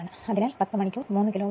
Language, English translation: Malayalam, So, 10 hour, 3 kilowatt